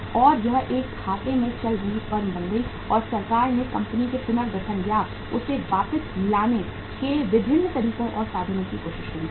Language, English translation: Hindi, And it continued to be a lossmaking firm and government tried different ways and means to restructure the company or to bring it back on the wheels